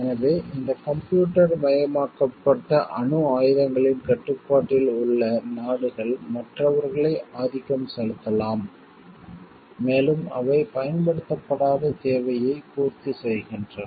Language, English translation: Tamil, So, those countries who are in the control of this computerized nuclear weapons are may dominate others and they and they get unused demand fulfilled